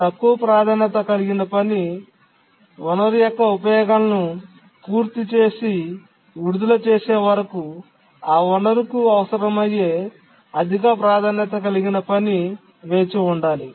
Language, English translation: Telugu, A higher priority task needing that resource has to wait until the lower priority task completes its uses of the resource and religious it